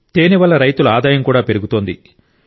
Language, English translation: Telugu, This is also increasingthe income of farmers